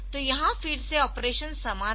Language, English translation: Hindi, So, again the operation is similar